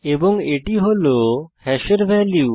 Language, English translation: Bengali, And these are the values of hash